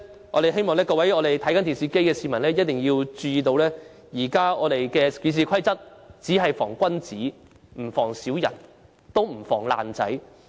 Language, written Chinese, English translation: Cantonese, 我們希望各位正在觀看電視直播的市民注意，現時的《議事規則》只能防君子，不能防小人，亦不能防"爛仔"。, We hope people who are watching the live television broadcast can note that currently the Rules of Procedure can only guard against honourable men but not mean and selfish characters or mobsters